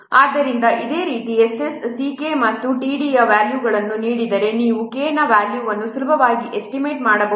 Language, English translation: Kannada, So similarly if the values of s s c k and t are given you can easily estimate the value of k and if the values of S